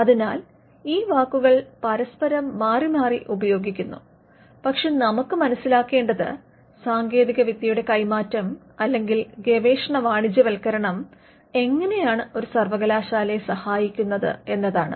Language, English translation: Malayalam, So, these words are used interchangeably, but what we need to understand here is how does transfer of technology or commercialization of research help a university